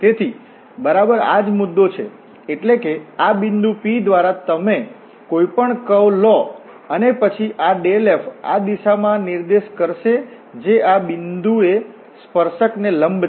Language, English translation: Gujarati, So, and exactly this is the point here that through this point P you take any curve and then this dell f will point in the direction which is perpendicular to the tangent at this point